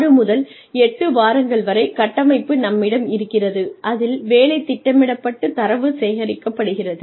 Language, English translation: Tamil, We have the framework phase of 6 to 8 weeks, in which the work is planned, and data is collected